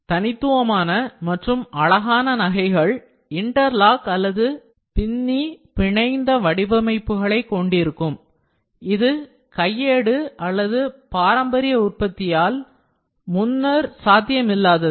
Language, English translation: Tamil, So, unique and beautiful pieces of jewelry feature interlocking or interwoven designs are only possible with additive manufacturing which was not possible before by manual or traditional manufacturing